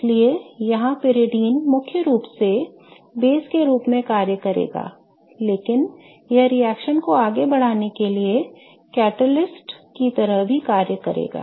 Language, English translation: Hindi, So, that's why, brideon here will act mainly as a base but it will also act as a catalyst kind of driving the reaction forward